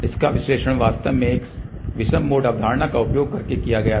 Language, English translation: Hindi, The analysis of this was actually done by using even an odd mode concept